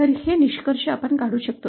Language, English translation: Marathi, So, these are the conclusions that we can derive